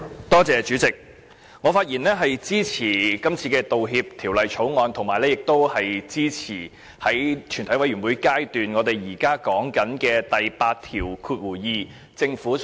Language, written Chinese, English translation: Cantonese, 代理主席，我發言支持《道歉條例草案》，以及支持政府就第82條提出的全體委員會審議階段修正案。, Deputy Chairman I speak in support of the Apology Bill the Bill and the Committee stage amendment CSA to clause 82 proposed by the Government